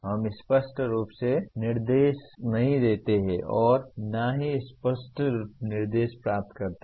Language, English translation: Hindi, We do not clearly give instructions nor receive clear instructions